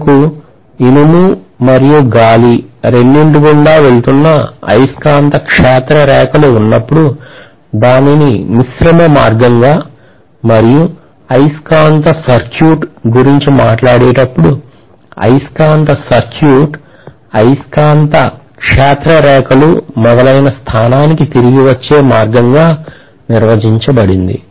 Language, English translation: Telugu, When we have the magnetic field lines passing through both iron as well as air we call that as a composite path and when we talk about magnetic circuit; the magnetic circuit is defined as the closed path followed by the magnetic field lines